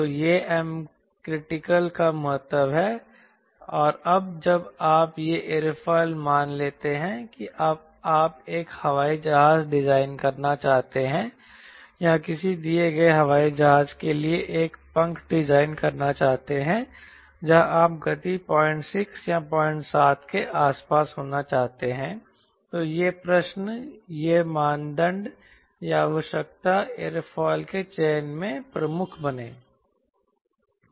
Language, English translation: Hindi, and when you selector aerofoil suppose you want to design an airplane or design a wing for a given airplane where you want the speed to be around point six or point seven then this question, this criteria, this requirement, become predominant in selecting the aerofoil